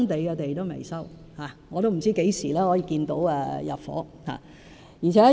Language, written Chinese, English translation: Cantonese, 我也不知道何時可以看到入伙。, I have no idea when we will see the project ready for occupation